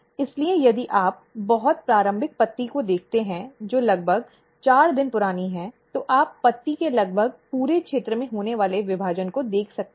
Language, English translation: Hindi, So, if you look at the very early leaf which is around 4 day old, you can see the division occurring almost entire region of the leaf